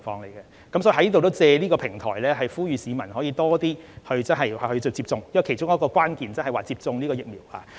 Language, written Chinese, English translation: Cantonese, 所以，我亦想藉此平台呼籲多些市民接種疫苗，因為其中一個抗疫關鍵就是要接種疫苗。, I thus wish to use this platform to urge the public to get vaccinated . Vaccination is one of the keys in fighting the epidemic